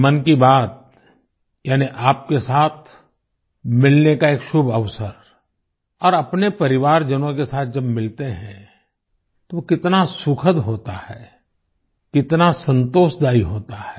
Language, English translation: Hindi, 'Mann Ki Baat' means an auspicious opportunity to meet you, and when you meet your family members, it is so pleasing… so satisfying